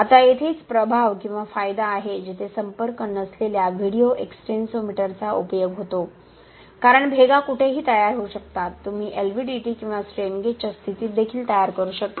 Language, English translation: Marathi, Now this is where the influence or the advantage where non contact type video extensometer comes into play, since the cracks can form anywhere, you can also form in the position of an LVDT or a strain gauge